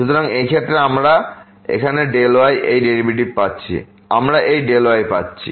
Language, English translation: Bengali, So, in this case we are getting delta this derivative here, we are getting this delta